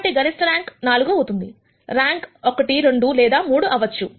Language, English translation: Telugu, So, the maximum rank can be 4, the rank could be 1 2 or 3